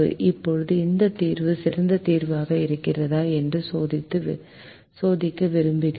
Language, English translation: Tamil, now we want to check whether this solution is the best solution